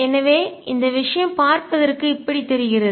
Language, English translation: Tamil, So, this thing looks like this